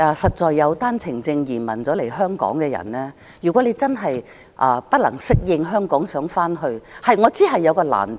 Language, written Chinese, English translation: Cantonese, 如果以單程證移民來港的人真的不能適應香港，想回去內地，我知道是有難度的。, If those who have immigrated to Hong Kong on OWPs really cannot get used to the life here and want to go back to the Mainland I know there are difficulties